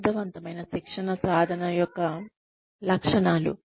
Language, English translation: Telugu, Characteristics of effective training practice